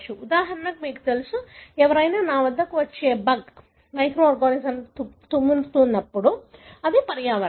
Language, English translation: Telugu, For example, you know, when somebody sneezes a bug that is coming to me; that is environment